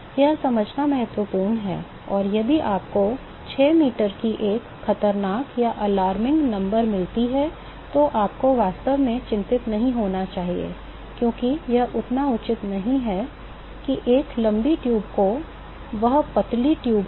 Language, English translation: Hindi, It is important to understand, and if you get an alarming number of 6 meters, you should really not to be worried, because it is not of it is quite fair to have that long a tube and that thinner tube